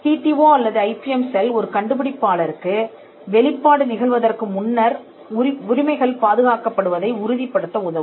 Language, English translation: Tamil, The TTO or the IPM cell would help an inventor to ensure that the rights are protected before a disclosure is made